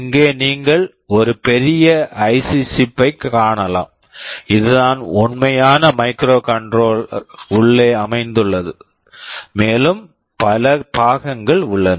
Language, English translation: Tamil, Here you can see a larger IC chip here, this is the actual microcontroller sitting inside and there are many other accessories